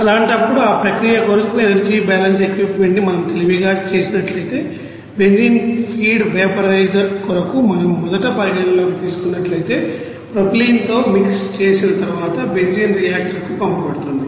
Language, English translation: Telugu, In that case if we do the energy balance equipment wise for this process, we can say that for benzene feed vaporizer, if we consider first that because benzene will be send to the reactor after mixing with the you know propylene